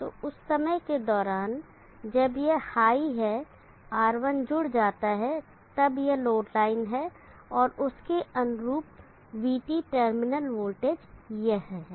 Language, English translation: Hindi, So during the time this is high R1 gets connected, then this is load line and the corresponding VT terminal voltage is this